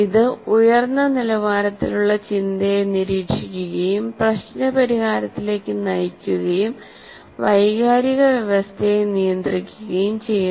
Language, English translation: Malayalam, It monitors higher order thinking, directs problem solving and regulates the excess of emotional system